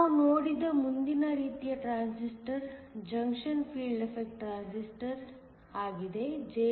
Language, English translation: Kannada, The next kind of transistor that we saw was the junction field effect transistor